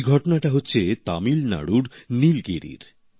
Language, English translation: Bengali, This effort is being attempted in Nilgiri of Tamil Nadu